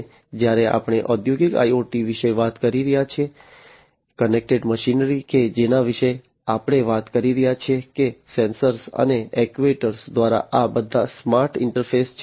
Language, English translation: Gujarati, And all already you know when we are talking about industrial IoT, the connected machinery that we are talking about having all these smart interfaces through sensors and actuators